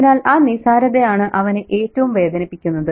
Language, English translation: Malayalam, So that insignificance is what hurts them most